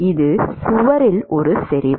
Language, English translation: Tamil, It is a concentration at the wall